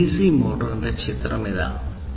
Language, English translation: Malayalam, So, here is the picture of a dc motor